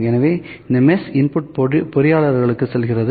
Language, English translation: Tamil, So, this mesh input goes to the engineers